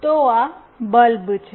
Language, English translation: Gujarati, So, this is the bulb